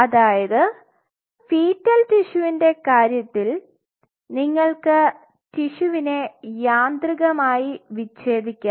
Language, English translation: Malayalam, So, in the case of fetal you can mechanically dissociate the tissue